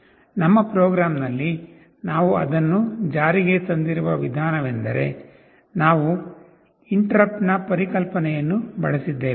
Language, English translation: Kannada, The way we have implemented it in our program is that we have used the concept of interrupt